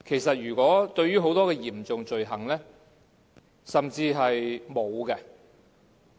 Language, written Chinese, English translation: Cantonese, 就很多嚴重罪行而言，甚至是沒有時限的。, Many serious crimes are subject to no time limit at all